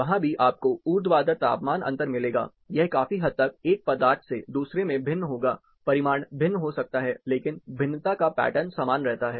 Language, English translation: Hindi, Even there, you will find the vertical temperature difference, it will considerably be different from one material to other, the magnitude may be different, but the pattern of variation remains the same